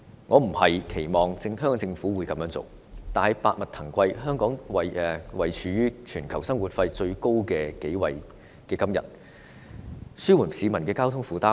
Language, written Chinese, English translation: Cantonese, 我並非期望香港政府會這樣做，但百物騰貴，香港位列全球生活費最高的城市之一，政府有責任紓緩市民的交通負擔。, I do not expect the Hong Kong Government to do the same but as prices are exorbitant and Hong Kong is one of the cities with the highest cost of living in the world the Government is duty - bound to alleviate the burden of transport expenses on the public